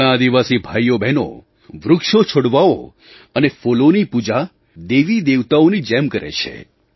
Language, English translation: Gujarati, Our tribal brethren worship trees and plants and flowers like gods and goddesses